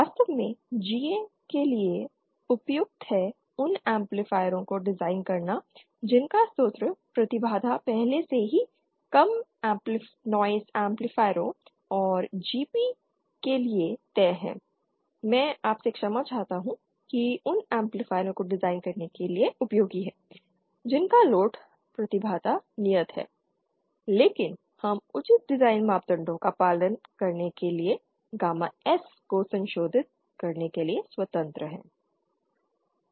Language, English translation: Hindi, In fact GA is suitable for designing those amplifiers whose source impedance is already fixed for example low noise amplifiers and GP is, I beg your pardon GA is useful for designing those amplifiers whose load impedance is fixed but we are free to modify gamma S to obtain appropriate design parameters